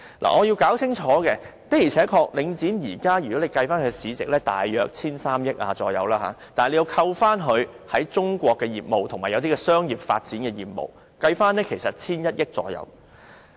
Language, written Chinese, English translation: Cantonese, 我必須清楚指出，的而且確，領展現時的市值大約為 1,300 億元，但扣除它在中國的業務和一些商業發展的業務，其實約為 1,100 億元。, I must clearly point out that indeed the current market value of Link REIT is about 130 billion . But after deducting its business in China and business of commercial development its value is actually about 110 billion